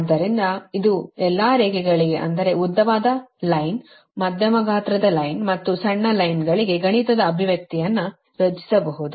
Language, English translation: Kannada, you will make all this mathematical expression: long line, medium line and short line, medium line and long line